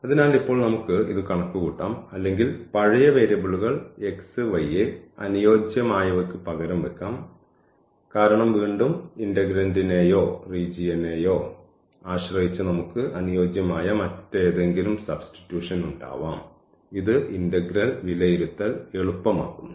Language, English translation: Malayalam, So, with this now we can compute or we can substitute the old variables here x y to some suitable because depending on again the integrand or the region r we may have some other suitable substitution, which makes the integral evaluation easier